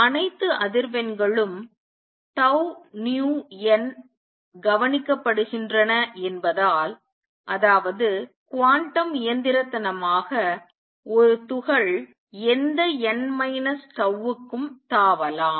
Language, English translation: Tamil, Since all the frequencies tau nu n are observed right; that means, quantum mechanically a particle can jump to any n minus tau